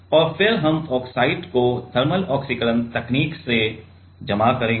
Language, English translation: Hindi, And then we will deposit oxide in thermal oxidation technique